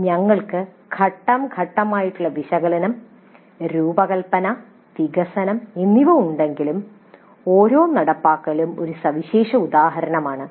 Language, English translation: Malayalam, Though we have the analysis, design and develop phase, each implementation is a unique instance